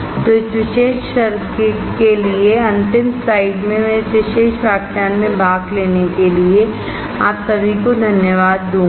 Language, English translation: Hindi, So, the last slide for this particular class, I will thank you all for attending this particular lecture